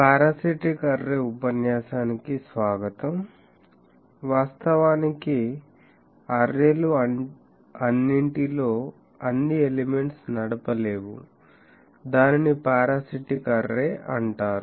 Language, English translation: Telugu, Welcome to this lecture on Parasitic Array, actually arrays in which, not all of the elements are driven is called parasitic array